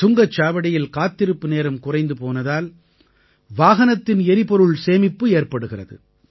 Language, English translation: Tamil, Due to this reduced waiting time at the Toll plaza, fuel too is being saved